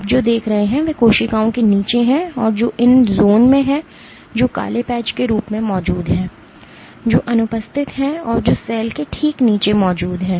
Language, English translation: Hindi, What you see is underneath the cells there are these zones, which has is present as black patches, which are absent and which are present right underneath the cell